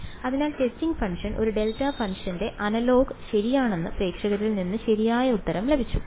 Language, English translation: Malayalam, So, the correct answer has come from the audience that the testing function was the analogue of a delta function ok